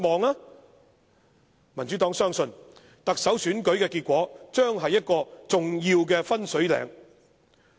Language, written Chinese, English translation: Cantonese, 民主黨相信，特首選舉結果將是一個重要的分水嶺。, The Democratic Party believes that the result of the Chief Executive Election will be an important watershed